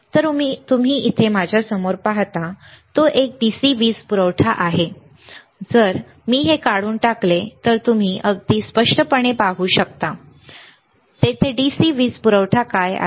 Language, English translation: Marathi, So, you see here in front of me it is a DC power supply, if I remove this, you can see very clearly, what is there is a DC power supply